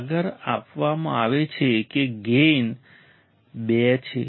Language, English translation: Gujarati, Further is given that gain is 2 right